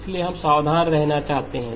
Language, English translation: Hindi, So therefore we want to be careful